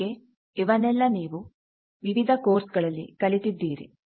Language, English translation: Kannada, So, all these you have learnt in your other courses